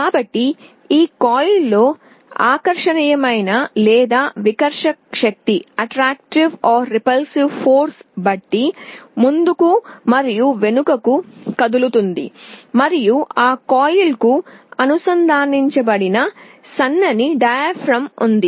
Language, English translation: Telugu, So, this coil will be moving forward and backward depending on the attractive or repulsive force and there is a thin diaphragm connected to that coil